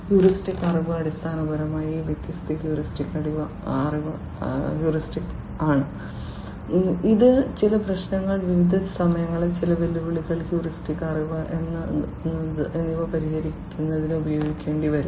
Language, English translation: Malayalam, Heuristic knowledge is basically you know these different heuristics that will or the rules of thumb that will have to be used in order to address certain problems, certain challenges at different points of time that is heuristic knowledge